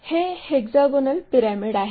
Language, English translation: Marathi, It is a hexagonal pyramid